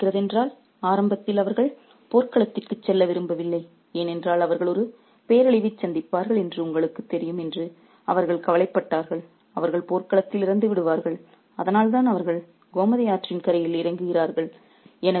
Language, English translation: Tamil, Remember, if you remember early on, they didn't want to go to the battlefield because they were worried that, you know, they will meet a calamity, they will die on the battlefield, which is why they get away to the banks of the river Gomati